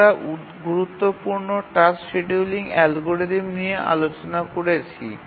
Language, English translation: Bengali, And we discussed the important task scheduling algorithm